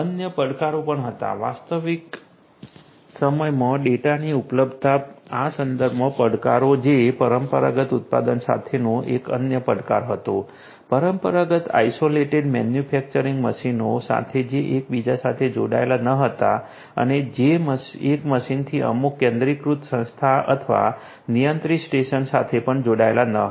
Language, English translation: Gujarati, There were other challenges also, challenges with respect to the availability of data in real time that was also another challenge with traditional manufacturing, with traditional isolated manufacturing machines which were not connected with one another and which were also not connected from one machine to some centralized entity or the controlled station